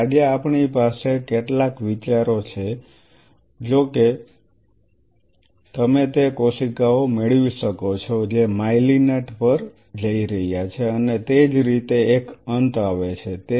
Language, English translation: Gujarati, So, today we have some ideas; however, you could get those cells which are going to myelinate and likewise one ends forth